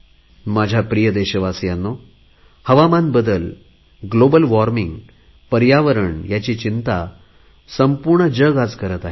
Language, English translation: Marathi, My dear countrymen, today, the whole world is concerned deeply about climate change, global warming and the environment